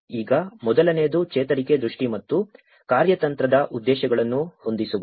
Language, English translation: Kannada, Now, the first thing is setting up recovery vision and strategic objectives